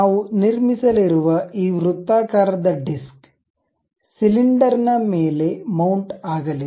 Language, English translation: Kannada, This circle circular disc what we are going to construct, it is going to mount on the cylinder